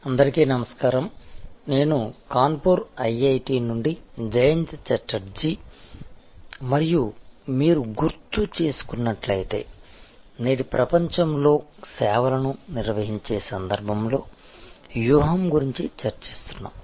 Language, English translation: Telugu, Hello, this is Jayanta Chatterjee from IIT, Kanpur and as you recall we are discussing about strategy in the context of Managing Services in today's world